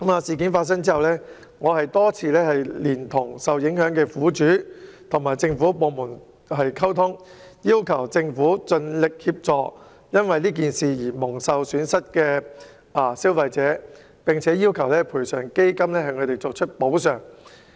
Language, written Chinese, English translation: Cantonese, 事件發生後，我多次連同受影響的苦主與政府部門溝通，要求政府盡力協助蒙受損失的消費者，並要求賠償基金向他們作出補償。, After the incident the affected victims and I repeatedly communicated with the government departments concerned and asked the Government to do its utmost to assist the consumers who suffered losses and demanded compensations to them under TICF